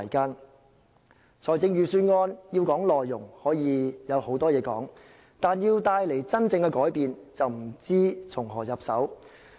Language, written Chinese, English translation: Cantonese, 如果要說預算案的內容，可以說的事有很多，但如果要帶動真正改變，就不知道從何入手。, Concerning the contents of the Budget a lot can be said but if we want to bring about genuine changes we simply do not know where to start